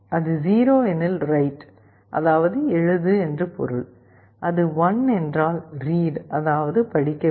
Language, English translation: Tamil, If it is 0, it means write, if it is 1 it means read